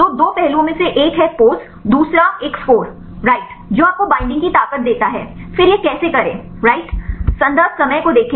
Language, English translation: Hindi, So, two aspects one is pose and the second one is a score right which give you the strength of the binding right then how to do these right